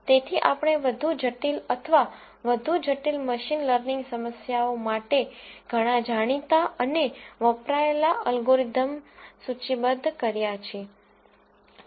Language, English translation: Gujarati, So, we have listed many of the commonly known and used algorithms for more complicated or more complex machine learning problems